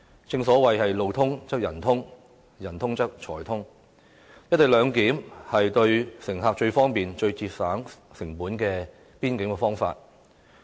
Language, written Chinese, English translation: Cantonese, 正所謂"路通則人通，人通則財通"，"一地兩檢"是最方便、最節省成本的邊檢方法。, As the saying goes Where there is a road there are people; where there are people there is money . The co - location arrangement is the most convenient and cost - effective way of border control